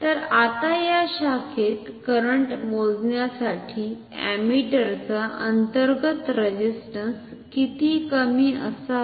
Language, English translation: Marathi, So, now how low should the internal resistance of the ammeter be to measure the current in this branch